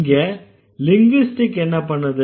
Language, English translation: Tamil, So, what did the linguists do